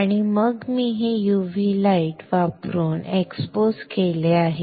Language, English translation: Marathi, And then I have exposed this using UV light